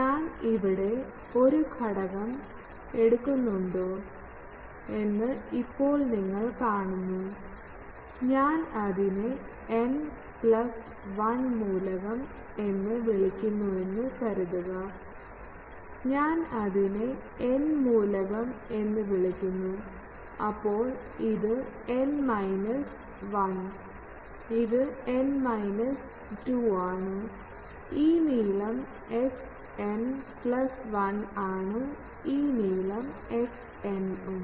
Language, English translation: Malayalam, Now you see if I take an element here; that is getting scaled suppose I call it n plus 1 th element, I call it n element, then this is n minus 1, this is n minus 2 and let us say that this length is l n, this length is l n minus 1 and this distance is x n plus 1 this distance is x n etc